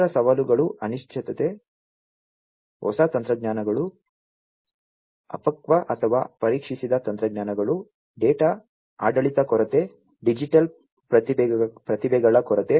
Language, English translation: Kannada, Other challenges include uncertain on new technologies, immature or untested technologies, lack of data governance, shortage of digital talent